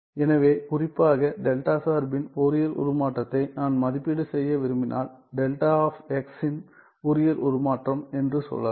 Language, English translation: Tamil, So, in particular if I want to evaluate the Fourier transform of delta function let us say Fourier transform of delta of x